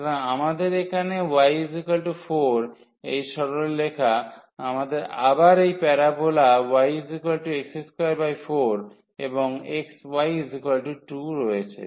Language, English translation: Bengali, So, we have here y is equal to 4 this straight line, we have this parabola again y is equal to x square by 4 and then we have x y is equal to 2